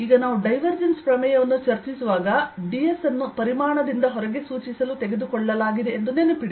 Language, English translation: Kannada, now, when we discuss divergence theorem, remember d s is taken to be pointing out of the volume